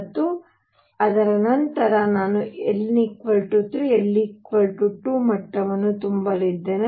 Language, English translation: Kannada, And after that I am going to fill n equals 3 l equals 2 level